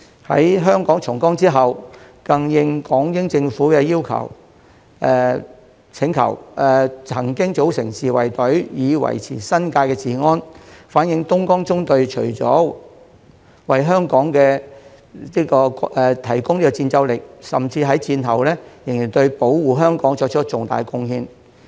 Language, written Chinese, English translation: Cantonese, 在香港重光之後，更應港英政府的請求，曾經組成自衞隊以維持新界治安，反映東江縱隊除了為香港提供戰鬥力，甚至在戰後仍對保護香港作出重大貢獻。, After the liberation of Hong Kong the Hong Kong Independent Battalion had formed self - defence forces to maintain law and order in the New Territories at the request of the British Hong Kong Government . This shows that not only did the Dongjiang Column fight for Hong Kong during the war but it also contributed significantly to protecting Hong Kong in the post - war period